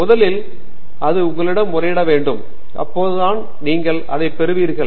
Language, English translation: Tamil, First of all, it should appeal to you; only then you should be getting into it